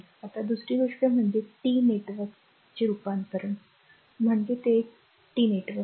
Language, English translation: Marathi, Now another thing is the transform the T network T means it is a it is a star network right